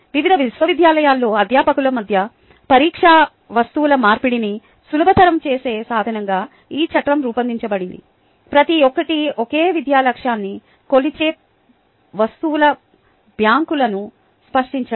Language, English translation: Telugu, the framework was conceived as a means of facilitating the exchange of test items among faculty at a various universities in order to create banks of items each measuring the same educational objective